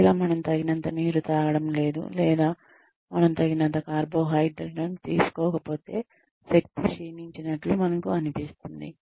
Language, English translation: Telugu, If, we are not consuming enough water, or if we are not taking in enough carbohydrates, we do tend to feel, depleted of energy